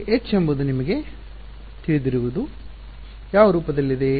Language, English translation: Kannada, Now H you know is of what form